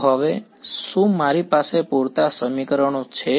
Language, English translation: Gujarati, So, now, do I have enough equations